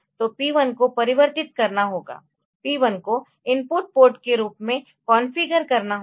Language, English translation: Hindi, So, P 1 has to be converted P 1 has to be configured as input volt